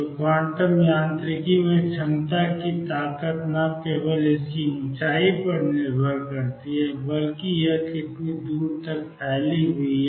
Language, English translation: Hindi, So, in quantum mechanics the strength of the potential depends not only is on its height, but also how far it is extended